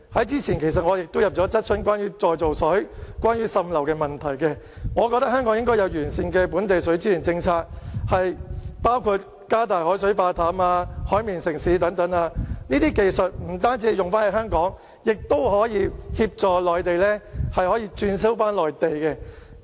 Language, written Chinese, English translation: Cantonese, 早前，我就再造水、滲漏問題提出了質詢，我覺得香港應該有完善的本地水資源政策，包括加大海水化淡、"海綿城市"等，這些技術不只適用於香港，更可協助內地、轉銷內地。, Earlier on I raised questions on reclaimed water and seepage problem . I think that Hong Kong should formulate better policies on local water resources including enhancing desalination developing Hong Kong as a sponge city etc